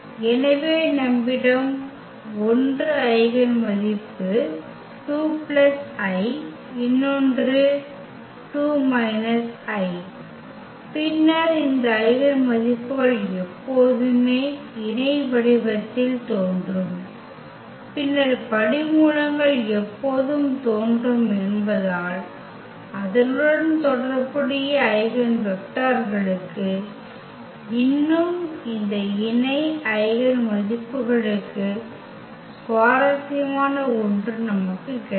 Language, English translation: Tamil, So, we have 1 eigen value 2 plus i another one is 2 minus i and we will see later on that these eigenvalues will always appear in conjugate form as the root always appears there and not only that we will have something more interesting for the eigenvectors corresponding to these conjugate eigenvalues